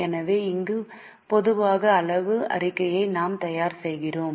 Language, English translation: Tamil, So, here we prepare a common size statement